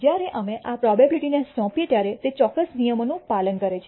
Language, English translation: Gujarati, When we assign this probability it has to follow certain rules